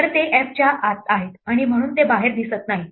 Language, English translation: Marathi, So, they are inside f, and hence they are not visible outside